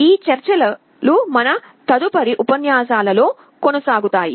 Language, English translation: Telugu, These discussions we shall be continuing in our next lectures